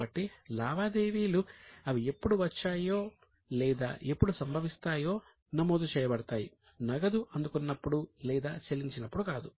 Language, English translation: Telugu, So, transactions are recorded as and when they accrue or as and when they occur, not as and when the cash is received or paid